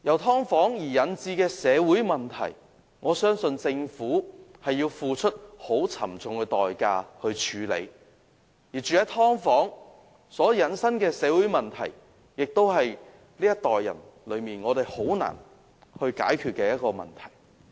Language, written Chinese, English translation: Cantonese, "劏房"引致的社會問題，我相信政府要付出很沉重的代價處理，而居於"劏房"所引申的社會問題，是這一代人很難解決的問題。, The Government has to pay a heavy price for the social problems arising from subdivided units; and such social problems can hardly be solved by people of this generation